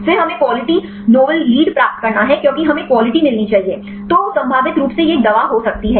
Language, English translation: Hindi, Then we have to get the quality novel lead because get we should be quality; then this can be potentially it could be a drug